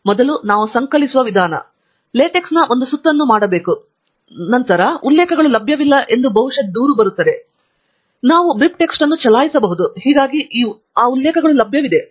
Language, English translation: Kannada, And then the way we compile is, first we should do one round of LaTeX, and then, it will complain perhaps that the citations are not available; and then, we can run BibTeX, so that those citations are available